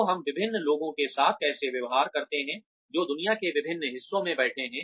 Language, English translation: Hindi, So, how do we deal with a variety of people, who are sitting in different parts of the world